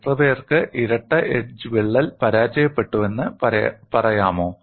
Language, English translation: Malayalam, Can you tell me, how many people have got the double edge crack failed